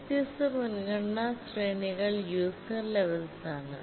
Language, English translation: Malayalam, The different priority ranges are the user levels